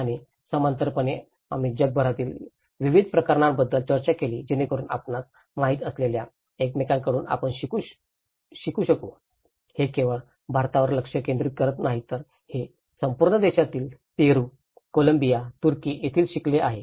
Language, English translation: Marathi, And in parallelly we did discussed about a variety of cases across the globe so that we can learn from each other you know, it is not only focusing on the India but it has the learnings from Peru, Colombia, Turkey so across the globe we have covered a variety of cases